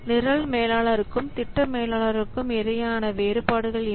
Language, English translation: Tamil, These are the differences between program managers and the project managers